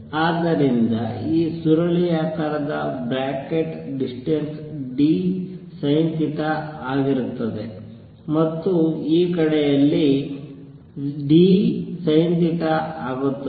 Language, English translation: Kannada, So, this curly bracket distance is going to be d sin theta and on this side also is going to be d sin theta